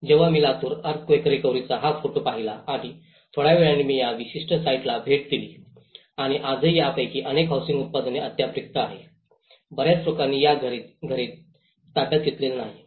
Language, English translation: Marathi, When I saw this photograph of the Latur Earthquake recovery and after some time I visited these particular sites and even today, many of these housings products they are still vacant not many people have occupied these houses